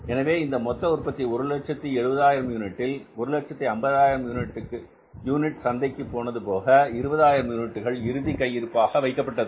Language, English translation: Tamil, So, it means out of 170,000 units, if 150,000 units are going to the market, it means where this 20,000 units are, they are kept as closing stock